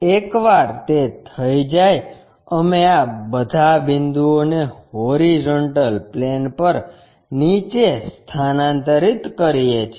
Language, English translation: Gujarati, Once that is done, we transfer all these points onto horizontal plane, down